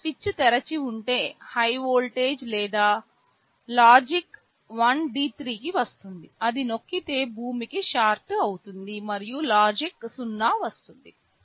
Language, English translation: Telugu, If this switch is open, high voltage or logic 1 will come to D3, if it is pressed it will be shorted to ground, and logic 0 will come